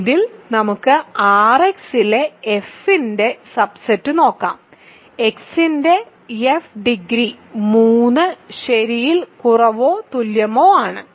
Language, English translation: Malayalam, So, in this let us look at the subset of f of X in R X, degree of f of X is less than or equal to 3 ok